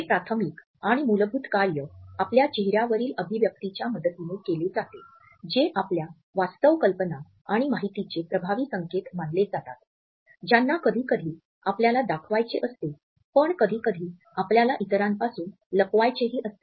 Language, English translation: Marathi, And this primary and fundamental function is performed with the help of our facial expressions which are considered to be potent signals of our true ideas and information which we often want to pass on and sometimes, we want to hide from others